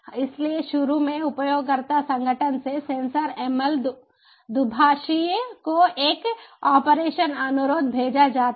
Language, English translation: Hindi, so initially from the user organization a operations request is sent to the sensor ml interpreter